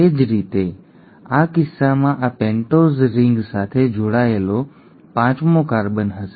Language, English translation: Gujarati, Similarly in this case this will be the fifth carbon attached to the pentose ring